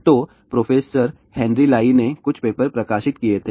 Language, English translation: Hindi, So, the professor Henry Lai had published a few papers